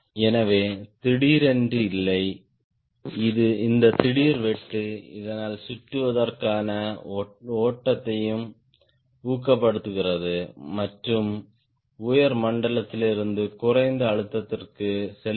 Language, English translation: Tamil, so there are there is no abrupt, this abrupt cut, so that will also discouraged flow to encircle and go from higher to lower pressure